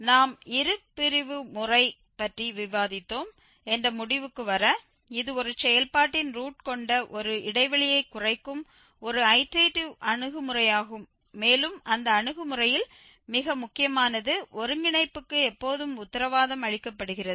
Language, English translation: Tamil, And just to conclude we have discussed the bisection method and this was an iterative approach that narrows down an interval that contains root of a function fx and most important in that approach the convergence is always guaranteed